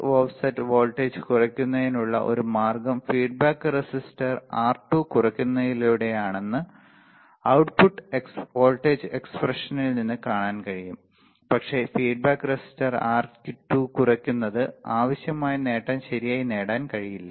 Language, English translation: Malayalam, So, it can be seen from the output voltage expression that a way to decrease the output offset voltage is by minimizing the feedback resistor R2, but decreasing the feedback resistor R2 required gain cannot be achieved right